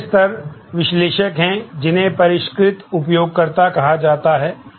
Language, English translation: Hindi, The next levels are the analysts, who are called the sophisticated users